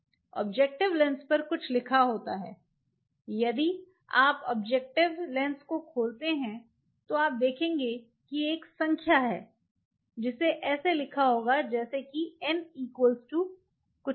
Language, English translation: Hindi, There is something on the lens objective lens if you open the objective lens you will see there is a number which will be given like n is equal to something